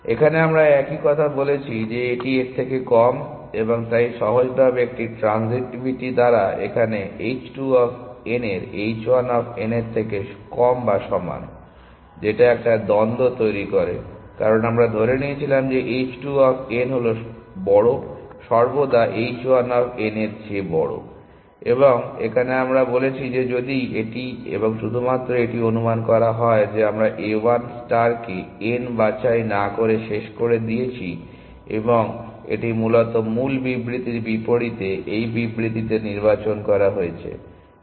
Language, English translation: Bengali, Here we have said the same thing that this is less than this and therefore simply by a transitivity here h 2 of n is less than equal to h 1 of n which is the contradiction, because we assumed this that is h 2 of n is greater is always greater than h 1 of n and here we have said that if this and this is only assumption we have made that let a 1 star terminate without picking n and that was select to this statement with contradicts over original statement essentially